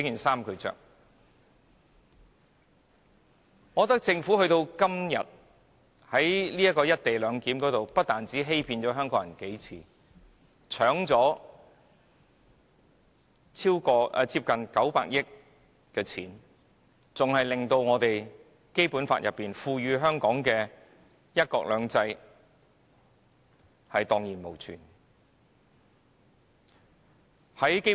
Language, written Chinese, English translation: Cantonese, 時至今日，我認為政府不但在"一地兩檢"的議題上數次欺騙香港人，搶奪了近900億元的公帑，更令《基本法》賦予香港的"一國兩制"蕩然無存。, To this day I consider that the Government has not only deceived Hong Kong people on the co - location issue several times snatching almost 90 billion from the public coffers but also wiped out one country two systems enjoyed by Hong Kong under the Basic Law